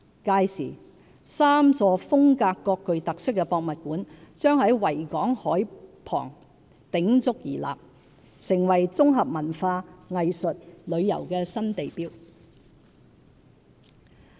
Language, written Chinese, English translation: Cantonese, 屆時 ，3 座風格各具特色的博物館將在維港海濱鼎足而立，成為綜合文化、藝術、旅遊的新地標。, By then these three museums with distinct identities will stand as novel landmarks for culture arts and tourism on the waterfront of the Victoria Harbour